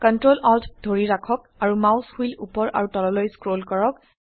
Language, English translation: Assamese, Hold ctrl, alt and scroll the mouse wheel up and down